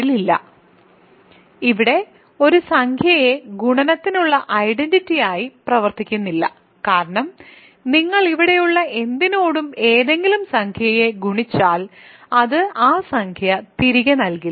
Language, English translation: Malayalam, Of course, 1 is not even, but there is no integer here the functions as identity for multiplication, because you multiply any integer with anything in here, it is going to not give that integer back